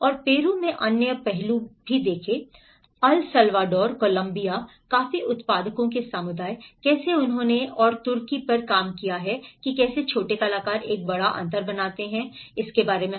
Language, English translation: Hindi, And there are also other aspects in Peru, El Salvador, Columbia, the coffee growers communities, how they have worked on and Turkey how the small actors make a big difference in it